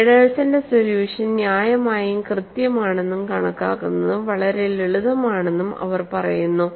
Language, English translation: Malayalam, 85; they say that the solution of Feddersen is reasonably accurate, and it is also simple to calculate